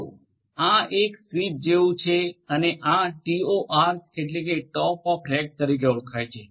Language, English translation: Gujarati, So, this is like a switch and this is known as TOR means Top of Rack